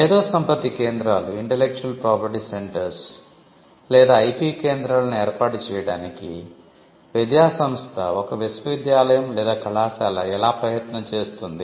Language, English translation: Telugu, How does an educational institution a university or a college look at setting up intellectual property centres or IP centres